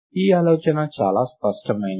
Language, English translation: Telugu, The idea is quite intuitive